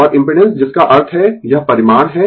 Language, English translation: Hindi, And impedance that means, this is the magnitude